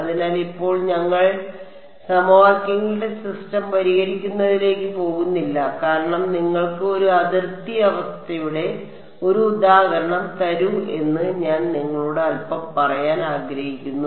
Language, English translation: Malayalam, So, in right now we would not go into actually solving the system of equations, because I want to tell you a little bit give you give you an example of a boundary condition